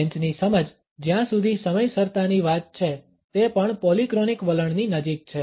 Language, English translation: Gujarati, The understanding of the French, as far as the punctuality is concerned, is also closer to a polychronic attitude